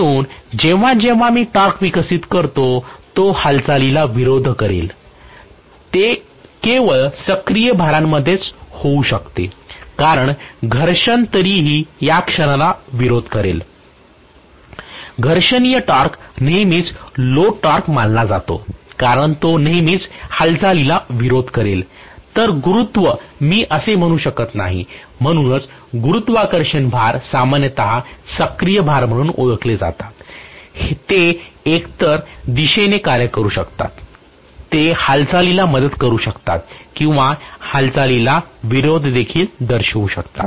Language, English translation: Marathi, So whenever I develop a torque which will oppose the movement, right, that can specifically happen only in active loads because friction anyway will always oppose the moment, frictional torque is considered to be a load torque all the time because it will always oppose the movement, whereas gravity I cannot say that that is why gravitational loads are generally known as active loads, they can work in either direction, they can either aid the movement or oppose the movement